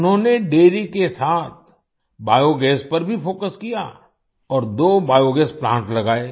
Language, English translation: Hindi, Along with dairy, he also focused on Biogas and set up two biogas plants